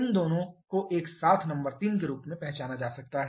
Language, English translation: Hindi, These 2 together can be identified as a number 3